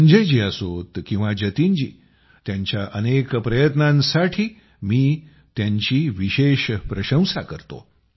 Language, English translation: Marathi, Be it Sanjay ji or Jatin ji, I especially appreciate them for their myriad such efforts